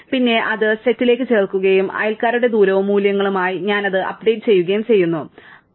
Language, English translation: Malayalam, Then, I add it to the set and I update its neighbour’s distances and values, right